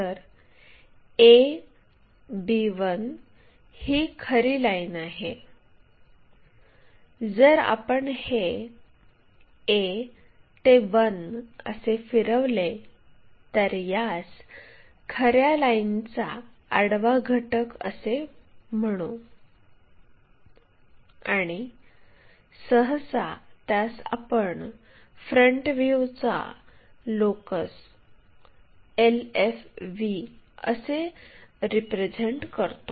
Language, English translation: Marathi, So, this is the true line, if we have rotated that whatever a to 1 that, we will call this one as horizontal component of true line and usually we represent like locus of that front view